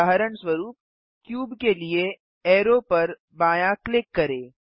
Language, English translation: Hindi, For example, left click arrow for cube